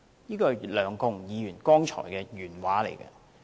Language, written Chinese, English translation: Cantonese, 這是梁國雄議員剛才的原話。, These are the remarks made by Mr LEUNG Kwok - hung just now